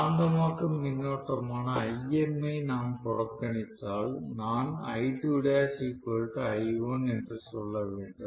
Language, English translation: Tamil, If we are neglecting the magnetizing current, I should say I2 dash is equal to I1 if Im is neglected